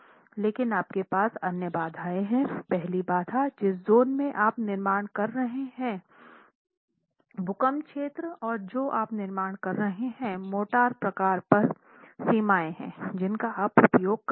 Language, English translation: Hindi, One of the first constraints may be depending on the zone in which you are constructing, the earthquake zone in which you are constructing, you also have limitations on the motor type that you will use